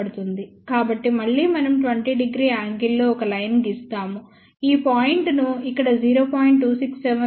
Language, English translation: Telugu, So, again draw a line at an angle of 20 degree, choose point c gl at 0